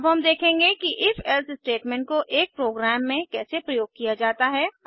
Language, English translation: Hindi, We will now see how the If…else statementcan be used in a program